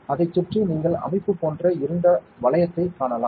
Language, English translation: Tamil, Around that you can see a dark ring like structure, correct